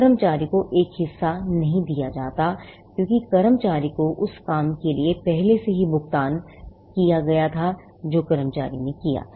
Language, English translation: Hindi, The employee is not given a share, because the employee was already paid for the work that the employee had done